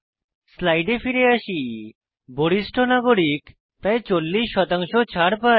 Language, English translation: Bengali, I have return to the slides, Senior citizens gets about 40% discount